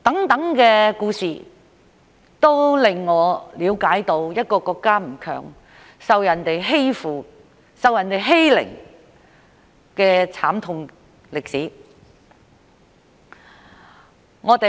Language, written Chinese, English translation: Cantonese, 這些故事都令我了解到，一個國家不強大，受人欺負、受人欺凌的慘痛歷史。, From these stories I understand the painful history of a country being bullied and abused when it is not strong